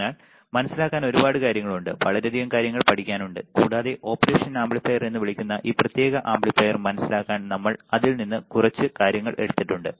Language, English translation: Malayalam, So, there are a lot of things to understand, lot of things to learn and we have taken few things from that lot to understand this particular amplifier called operational amplifier right